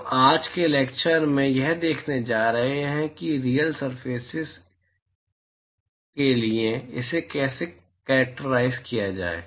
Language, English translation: Hindi, We are going to see in today's lecture how to characterize it for for a real surface